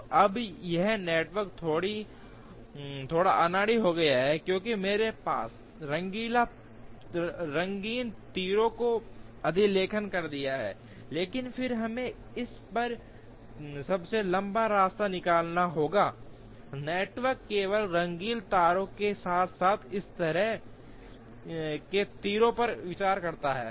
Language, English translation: Hindi, So, now, this network has become slightly clumsy, because I have overwritten the colored arrows, but then we have to find out the longest path on this network, considering only the colored arrows as well as these kind of arrows